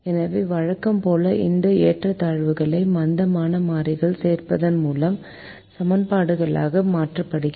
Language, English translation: Tamil, so, as usual, we convert these in equalities to equations by adding slack variables